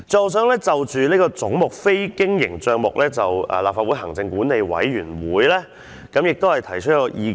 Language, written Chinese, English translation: Cantonese, 我想就總目的非經營帳目項目，向立法會行管會提出一項意見。, I would like to raise a suggestion to the Legislative Council Commission in respect of capital items